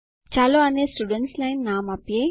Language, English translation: Gujarati, Let us name this the Students line